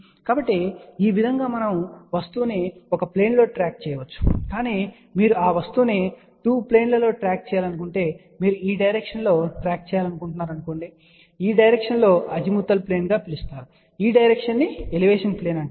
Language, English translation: Telugu, So, this way we can track the object in single plane, but if you want to track the object in 2 planes that means, you want to track in this direction as well as in this direction this direction is known as Azimuth plane and this direction is known as Elevation plane